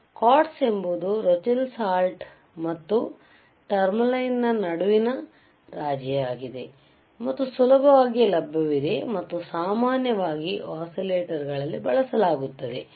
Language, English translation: Kannada, Q quartz is a compromise between Rochelle salt and tourmaline and is easily available and very commonly used in oscillators, very commonly used in oscillators alright